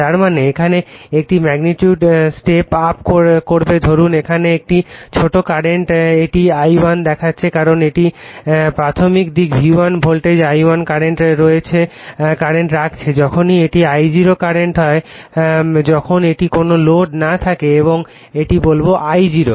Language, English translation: Bengali, That means, here it will sets up the magnitude suppose a small current here it is showing the I1 because it is primary side you are putting V1 voltage I1 current whenever it is I0 current when it is at no load right and that time I1 = say I0